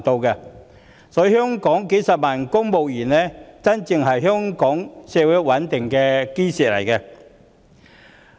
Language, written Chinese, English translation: Cantonese, 因此，香港數十萬名公務員才真正是香港社會賴以穩定的基石。, Hence the hundreds of thousands of civil servants in Hong Kong are the true cornerstone of our societys stability